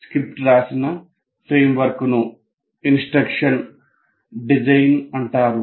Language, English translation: Telugu, And the framework within which a script is written is called instruction design